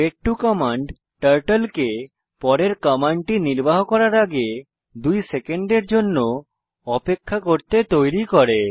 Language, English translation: Bengali, Wait 2 command makes Turtle to wait for 2 seconds before executing next command